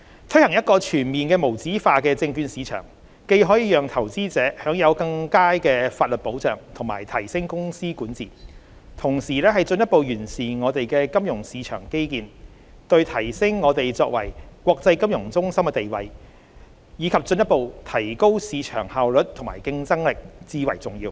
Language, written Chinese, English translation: Cantonese, 推行一個全面無紙化的證券市場，既可讓投資者享有更佳的法律保障及提升公司管治，同時進一步完善我們的金融市場基建，對提升我們作為國際金融中心的地位，以及進一步提高市場效率和競爭力至為重要。, Not only will the full implementation of USM enable investors to enjoy better legal protection and enhance corporate governance but it will also better refine our financial market infrastructure which is essential for reinforcing Hong Kongs position as an international financial centre and further enhancing market efficiency and competitiveness